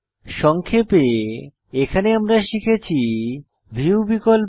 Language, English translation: Bengali, Now first lets learn about View options